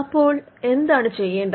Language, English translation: Malayalam, Now, what needs to be done